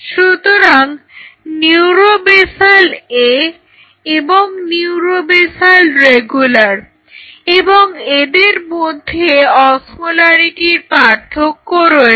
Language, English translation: Bengali, So, neuro basal A and neuro basal regular, the difference is in osmolarity